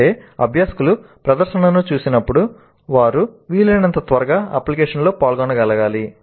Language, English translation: Telugu, That means as the learners see the demonstration, they must be able to engage in the application as quickly as possible